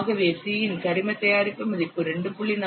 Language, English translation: Tamil, For organic mode, the value of C is 2